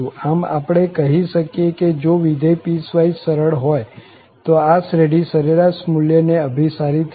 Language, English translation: Gujarati, So, we can say that if the function is piecewise smooth, then, this series will converge to that average value